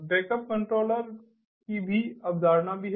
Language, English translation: Hindi, there is also a concept of backup controller